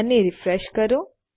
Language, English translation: Gujarati, And lets refresh that